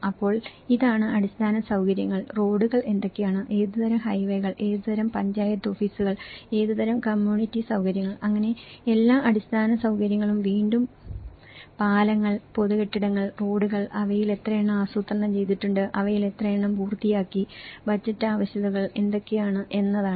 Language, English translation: Malayalam, So, this is the infrastructure, what are the roads, what kind of highways, what kind of Panchayat offices, what kind of community facilities, so this is all the infrastructures and again the bridges, public buildings, roads, how many of them are planned, how many of them are completed, what are the budgetary requirements